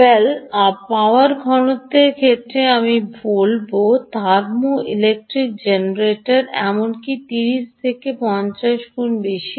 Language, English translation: Bengali, well, in terms of power density, i would say ah, thermoelectric generators are even thirty to fifty times higher